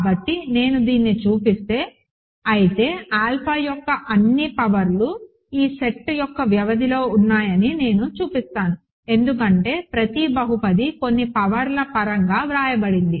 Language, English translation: Telugu, So, if I show this, if I show that all powers of alpha are in the span of this set we are done because every polynomial is written in terms of some powers